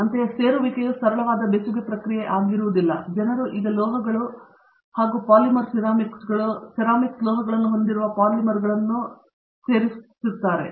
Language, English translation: Kannada, Similarly, Joining is no more a simple welding process; people are now joining polymers with metals okay, polymers with ceramics, metals with ceramics